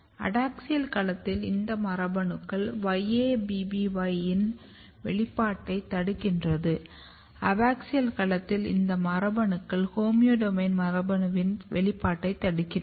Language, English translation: Tamil, So, in adaxial domain these genes inhibit expression of YABBY, in abaxial domain these genes inhibit expression of homeodomain gene